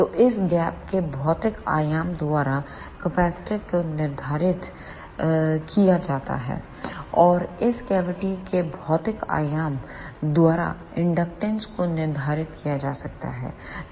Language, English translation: Hindi, So, the capacitance can be determined by the physical dimension of this gap, and the inductance can be determined by the physical dimension of this cavity